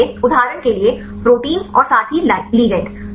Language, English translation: Hindi, So, for example, the protein as well as the ligand